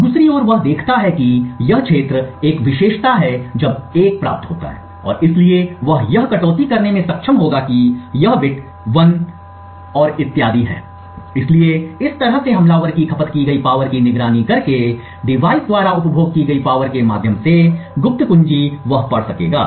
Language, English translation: Hindi, On the other hand he sees that this region is a characteristic when 1 is obtained and therefore he would be able to deduce that this bit is 1 and so on, so in this way just by monitoring the power consumed the attacker would be able to read out the secret key through the power consumed by the device